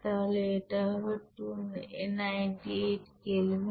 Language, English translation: Bengali, So it will be 298 Kelvin, you have to convert it